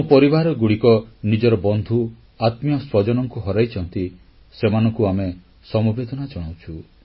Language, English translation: Odia, Our sympathies are with those families who lost their loved ones